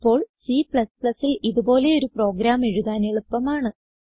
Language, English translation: Malayalam, Now, writing a similar program in C++ is quite easy